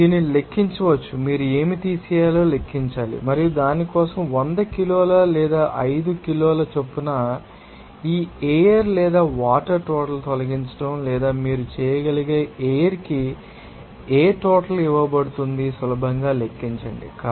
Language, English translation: Telugu, Simply you can calculate up to this, you have to calculate what do that what a remove and for that for to be the amount of air or amount of water actually remove per 100 kg or 5 kg or whatever amount will be given for air that you can easily calculate